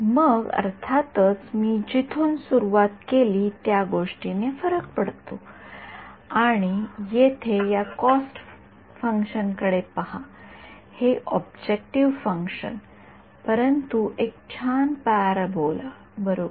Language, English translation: Marathi, Then of course, it matters where I started from, and look at this cost function over here, this objective function its anything, but a nice parabola right